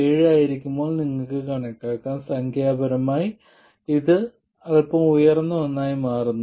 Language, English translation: Malayalam, 7 you can calculate it numerically, it turns out to be something slightly higher and for 4